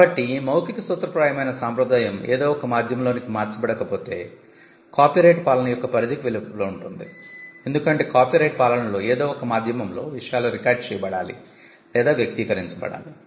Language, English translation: Telugu, So, the oral formulaic tradition unless the substance is captured in some medium can remain outside the purview of the copyright regime, because the copyright regime requires things to be recorded or expressed on some medium